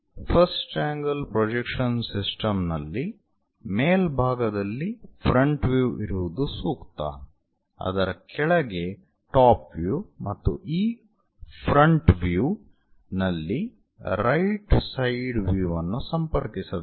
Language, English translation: Kannada, In first angle projection system it is recommended to have front view at top; top view below that and right side view connected on this front view